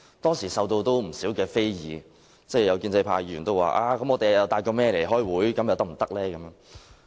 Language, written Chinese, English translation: Cantonese, 當時受到不少人非議，有建制派議員說："我們帶'某某'來開會，又可不可以呢？, At that time I was criticized by a number of members and a pro - establishment member said Could we bring so - and - so with us to the meeting?